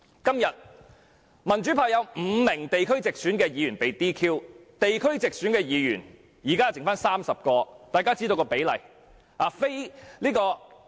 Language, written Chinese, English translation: Cantonese, 現時民主派有5名地區直選議員被 "DQ"， 因而只餘下30名地區直選議員。, Now given that five Members from the pro - democracy camp returned by geographical constituencies through direct elections have been DQ there are only 30 such Members left